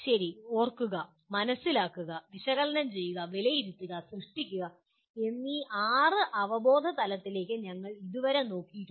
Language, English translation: Malayalam, Okay, till now we have looked at the six cognitive levels namely Remember, Understand, Analyze, Evaluate and Create